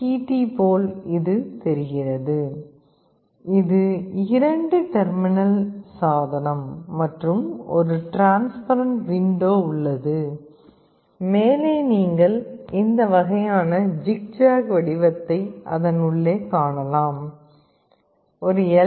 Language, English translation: Tamil, Tt looks like this, it is a two terminal device and there is a transparent window, on top you can see some this kind of zigzag pattern inside it this is how an LDR looks like